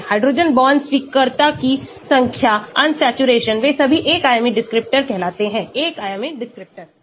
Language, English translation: Hindi, the number of hydrogen bond acceptor, unsaturation they are all called one dimensional descriptor ; one dimensional descriptor